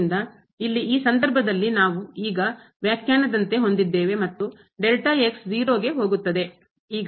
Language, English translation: Kannada, So, here in this case we have as per the definition now and delta goes to 0